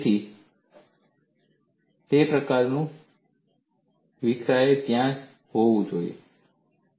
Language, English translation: Gujarati, So, that kind of scatter should be there